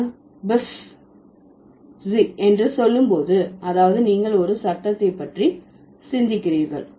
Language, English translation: Tamil, When I say buzz, that means you are thinking about a sound